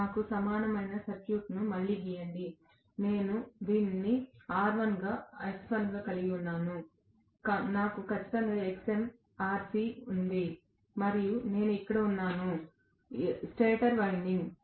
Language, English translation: Telugu, Let me redraw the equivalent circuit again, I have this as R1 this as X1, I do have definitely Xm, Rc and I have here, the stator winding